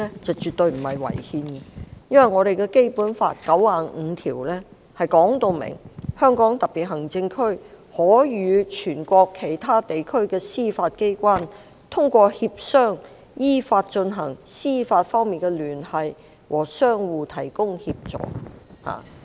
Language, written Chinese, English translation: Cantonese, 是絕對沒有違憲的，因為《基本法》第九十五條訂明："香港特別行政區可與全國其他地區的司法機關通過協商依法進行司法方面的聯繫和相互提供協助"。, It is absolutely not unconstitutional as Article 95 of the Basic Law states clearly The Hong Kong Special Administrative Region may through consultations and in accordance with law maintain juridical relations with the judicial organs of other parts of the country and they may render assistance to each other